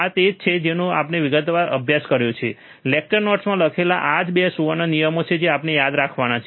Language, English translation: Gujarati, This is also we have studied in detail, right in lecture notes that, these are the 2 golden rules that we have to remember